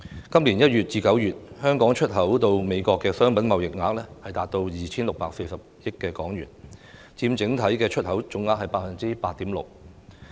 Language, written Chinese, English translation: Cantonese, 今年月至月，香港出口到美國的商品貿易額達到 2,640 億港元，佔整體出口總額 8.6%。, The export merchandise trade value from Hong Kong to the United States from January to September this year amounted to 264 billion accounting for 8.6 % of the total export value